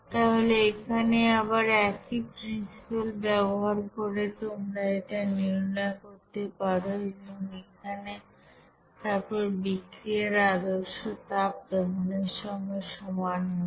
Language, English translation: Bengali, So again you can then write the same principle of calculating standard heat of reaction for this combustion reaction